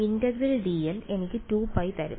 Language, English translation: Malayalam, Integral dl will just simply give me 2 pi